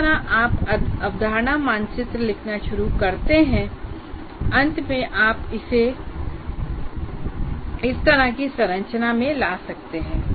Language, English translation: Hindi, In whatever way when you start writing the concept map, in the end you can clean it up to bring it into some kind of a structure like this